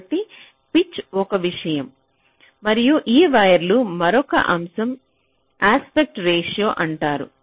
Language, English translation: Telugu, ok, so pitch is one thing and another aspect of this wires is something called the aspect ratio